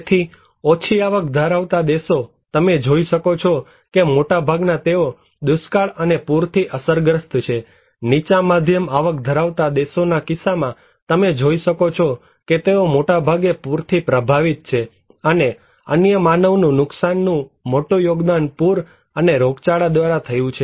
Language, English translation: Gujarati, So, low income countries you can see that most they are affected by drought and also their flood, in case of lower middle income group countries, you can see that these they are affected mostly by the flood, and the other bigger contribution of human losses came from flood and also from epidemic